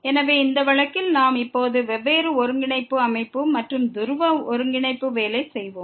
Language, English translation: Tamil, So, in this case we are will be now working on different coordinate system and in polar coordinate